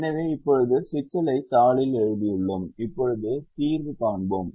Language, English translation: Tamil, so now we have written the problem in the sheet and we now look at the solver